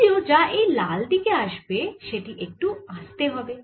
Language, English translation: Bengali, however, whatever comes on the red side, it goes little slow